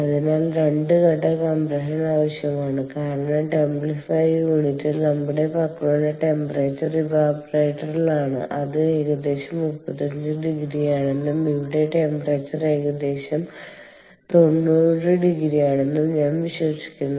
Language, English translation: Malayalam, all right, so the two stage compression is required because in the templifier unit the temperatures that we have is at ah evaporator, for over here it is around, i believe, thirty five degrees and ah, over here, the temperature because it is giving up heat, it is almost about ninety degrees or so